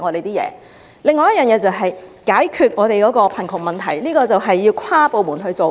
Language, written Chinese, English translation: Cantonese, 此外，政府須解決香港的貧窮問題，此事需要跨部門處理。, Besides the Government must address the poverty issue of Hong Kong . This is something warrants cross - departmental efforts